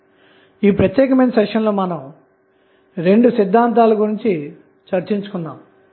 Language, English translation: Telugu, So, in this particular session, we discussed about 2 theorems